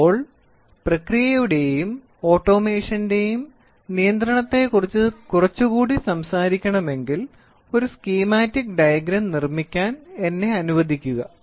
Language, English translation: Malayalam, So, if you want to talk little bit more about control of processes and automation let me make a schematic diagram